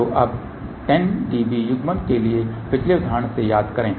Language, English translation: Hindi, So, now, recall from the previous example for 10 db coupling